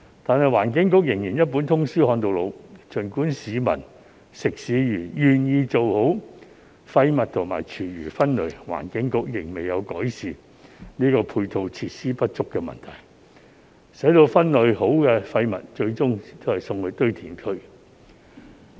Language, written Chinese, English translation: Cantonese, 然而，環境局仍然"一本通書看到老"，儘管市民、食肆願意做好廢物和廚餘分類，但環境局仍未有改善配套設施不足的問題，分類好的廢物最終還是送到堆填區。, However EB remains stuck in the same old rut . Despite the willingness of the general public and restaurants to separate waste and food waste properly the properly separated waste will still end up in landfills if EB fails to address the problem of insufficient ancillary facilities